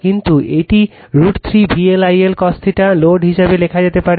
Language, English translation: Bengali, But, this can be written as root 3 V L I L cos theta load